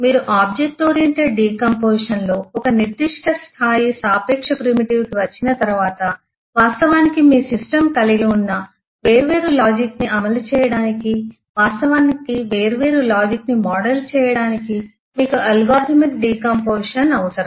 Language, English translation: Telugu, After you have come to a a certain level of eh relative primitive in the object eh oriented decomposition you will still need algorithmic decomposition to actually implement different logic actually model different logic that your system may have